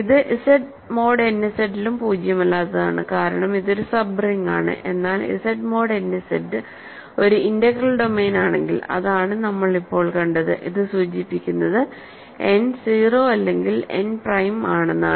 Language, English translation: Malayalam, So, it is also non zero in Z mod n Z because it is a sub ring, but then if Z mod n Z is a integral domain which is what we just concluded, this implies that n is 0 or n is prime right